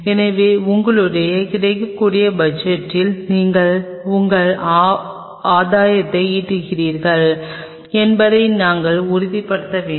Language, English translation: Tamil, So, we have to ensure that within your available budget you are playing your gain